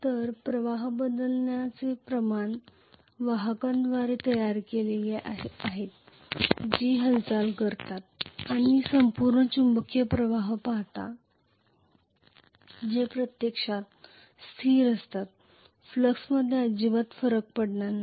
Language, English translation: Marathi, So the rate of change of the flux is created by the conductors which are moving and these look at the entire magnetic flux which is actually constant, this is not going to have any variation in the flux at all